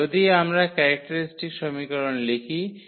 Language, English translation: Bengali, So, if we write down the characteristic equation